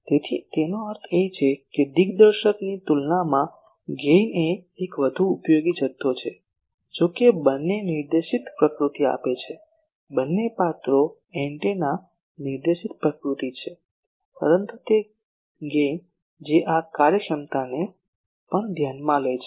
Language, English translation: Gujarati, So that means, gain it is a more useful quantity compared to directivity though both gives the directed nature both characters is the antennas directed nature, but the gain that also takes into account this efficiencies